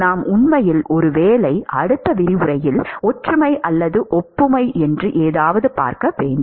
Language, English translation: Tamil, And in fact, we will actually see in many maybe next lecture or the lecture after that something called a similarity or analogy